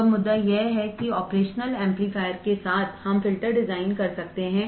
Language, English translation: Hindi, So, now the point is that with the operational amplifiers we can design filters